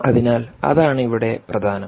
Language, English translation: Malayalam, so that's really the key here